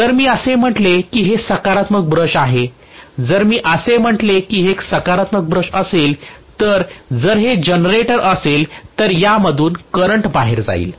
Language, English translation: Marathi, If I say that this is the positive brush, right if I say that this is going to be a positive brush, the current will be coming out of this if it is a generator, right